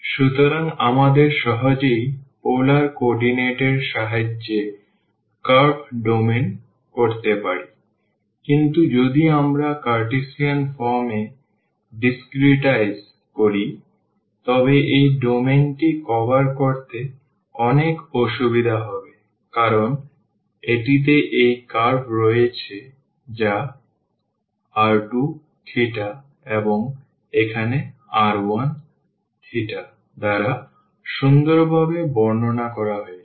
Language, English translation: Bengali, So, we can curve domain with the help of polar coordinating easily, but if we discretize in the a Cartesian form, then they will be many difficulties to cover this domain, because it has this curve which is described nicely by r 2 theta and here r 1 theta